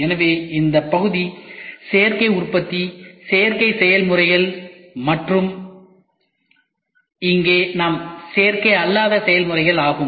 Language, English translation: Tamil, So, this portion is Additive Manufacturing additive processes and here we have non additive processes ok